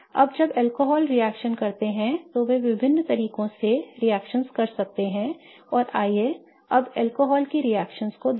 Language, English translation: Hindi, Now when alcohols react, they are going to react in various different ways and let's now look at the reactions of alcohols